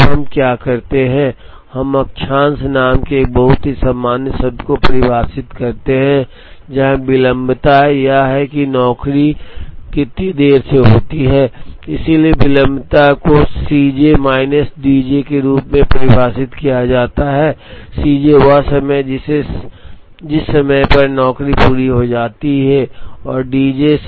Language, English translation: Hindi, Now what we do is we define a very generic term called lateness, where lateness is how late the job is, so lateness is defined as C j minus D j, C j is the time, at which the job is completed D j is the time, at which it is due